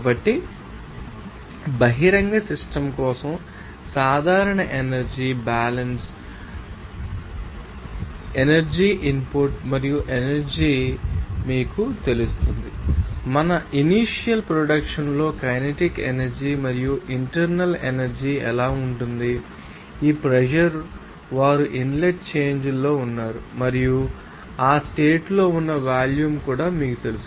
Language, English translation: Telugu, So, if we express that general energy balance for an open system can have this you know, energy input and energy you know what can output for us here in the initial state that the kinetic energy potential energy and what will be the internal energy also how this pressure they are in the inlet change and also you know volume of that in the condition